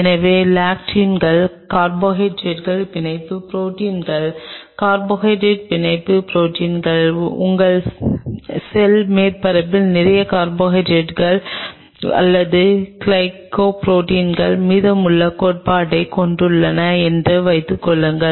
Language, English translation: Tamil, So, lectins are Carbohydrate Binding Proteins; Carbo Hydrate Binding Proteins suppose your cell surface has lot of carbohydrate or glycoproteins remaining theory